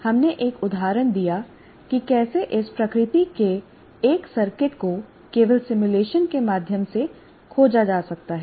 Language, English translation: Hindi, We're just giving an example how a circuit of this nature can only be explored through simulation